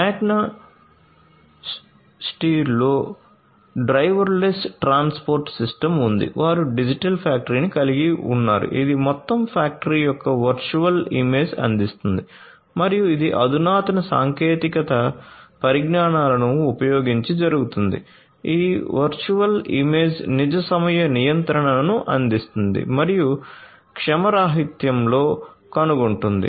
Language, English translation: Telugu, Magna steyr has the driverless transport system, they have the digital factory which offers a virtual image of the entire factory and that is done using advanced technologies this virtual image provides real time control and detects in the anomaly